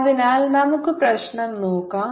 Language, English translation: Malayalam, so let's, ah, see the problem